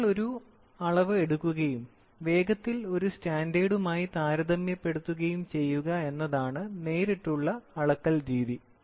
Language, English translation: Malayalam, Direct measurement is you measure a quantity and you quickly compare it with a standard